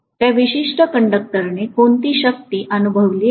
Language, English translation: Marathi, What is the force experienced by that particular conductor